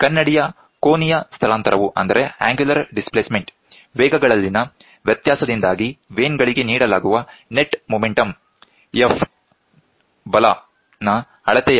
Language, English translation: Kannada, So, mirror is measured of the net momentum F imparted on the vane vanes due to the difference in the velocities